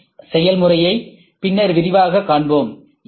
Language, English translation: Tamil, SLS we will see in detail SLS process